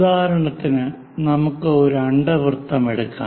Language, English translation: Malayalam, For example, let us take an ellipse